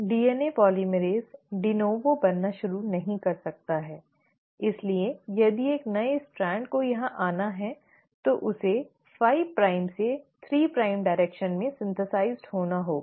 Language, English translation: Hindi, The DNA polymerase de novo cannot start making, so if the new strand which has to come here has to get synthesised in 5 prime to 3 prime direction